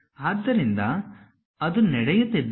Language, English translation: Kannada, So, if that is happening